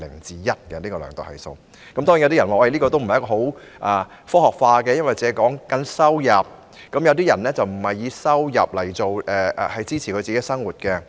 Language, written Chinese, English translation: Cantonese, 當然，有人會說這個數字不夠科學化，因為它只量度收入，但有些人並非以收入維持生計。, Some people will certainly criticize this figure of not being scientific enough because it only measures income as some people do not rely on income to make ends meet